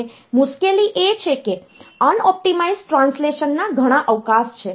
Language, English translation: Gujarati, Now the difficulty is that there are many scope of unoptimized translation